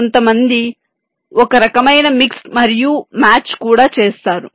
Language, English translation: Telugu, some people they also do some kind of a mix and match